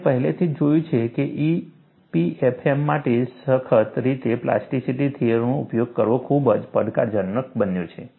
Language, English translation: Gujarati, We have already seen, utilizing plasticity theory in a rigorous manner for EPFM, is going to be very challenging